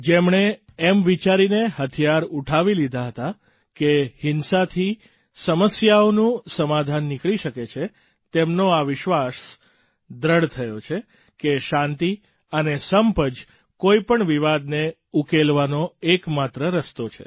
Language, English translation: Gujarati, Those who had picked up weapons thinking that violence could solve problems, now firmly believe that the only way to solve any dispute is peace and togetherness